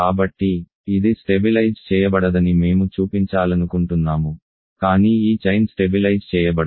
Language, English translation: Telugu, So, we want to show that it does not stabilize, but this chain does not stabilize